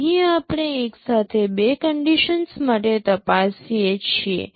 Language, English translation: Gujarati, checking for two conditions together